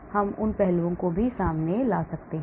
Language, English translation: Hindi, So we can bring in those aspects also